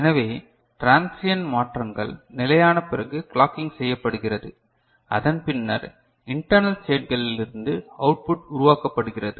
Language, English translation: Tamil, So, once the transients stabilize then the clocking happens and then the output is generated from the internal states